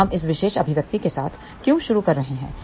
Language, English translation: Hindi, So, why are we starting with this particular expression